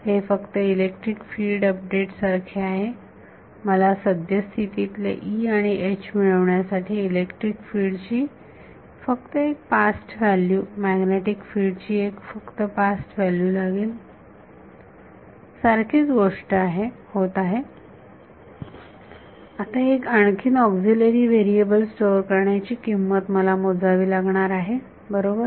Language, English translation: Marathi, It is just like the electric field update, I need one past value of electric field one past value of magnetic field to get the current E and H, same thing is happening now my price is store one more auxiliary variable right